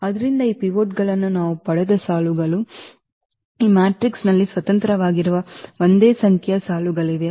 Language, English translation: Kannada, So, those rows where we got these pivots there are there are the same number of rows which are independent in this matrix